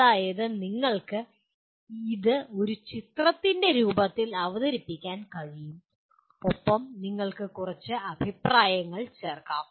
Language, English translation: Malayalam, That is you can present it in the form of a picture and if you want add a few comments to that